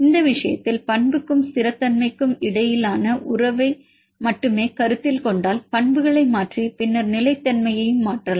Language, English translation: Tamil, In this case if we considered only the relationship between the property and stability just change the properties and then stability